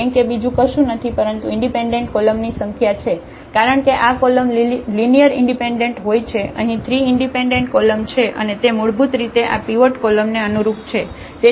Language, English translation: Gujarati, The rank is nothing but the number of independent columns in because this column is dependent and this column also dependent, there are 3 independent columns and they basically correspond to this pivot column